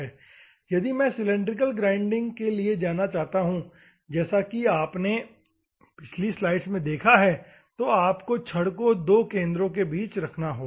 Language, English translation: Hindi, If at all I want to go for the cylindrical grinding, as you have seen in the previous slides, you have to hold the rod in between the centre